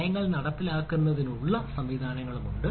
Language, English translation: Malayalam, so mechanisms are there to enforce policies